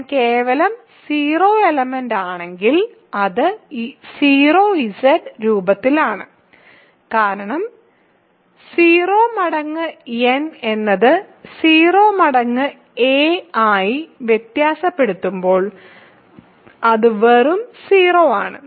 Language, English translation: Malayalam, So, if I is simply the just the 0 element, it is of the form 0Z right, because 0 times n as 0 times a as a varies it is just 0